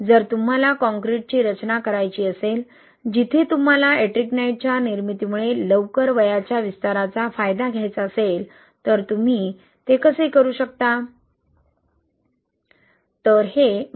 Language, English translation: Marathi, If you want to design concrete, where you want to leverage early age expansion due to the formation of Ettringite, how can you do that